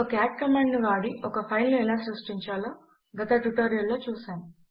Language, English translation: Telugu, We have already seen in another tutorial how we can create a file using the cat command